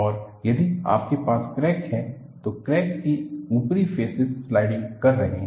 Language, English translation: Hindi, And, if you have the crack, the crack surfaces are sliding